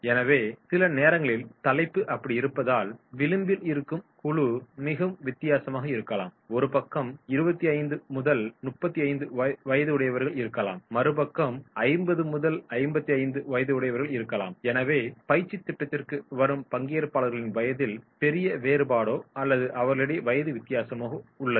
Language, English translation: Tamil, So sometimes if the topic is such so then there may be the edge group will be very much difference, there might being 25 to 35 and other side there might be between 50 to 55 and therefore there might be trainees those who are joining the training program they are having the large variation of the age group or the age difference is there